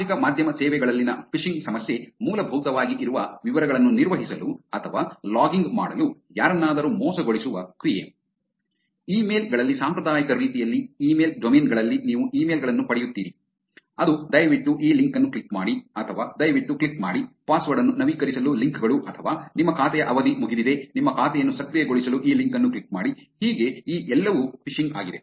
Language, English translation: Kannada, The phishing problem on social media services, the act of tricking someone to into handling or logging details which is basically there is a, in traditional ways in emails, in email domains you get emails which says please click on this link or please click on the links to update a password or your account is expired click on this link to activate your account